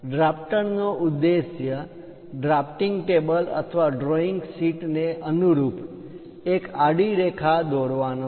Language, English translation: Gujarati, The objective of drafter is to draw a horizontal line, in line with that drafting table or the drawing sheet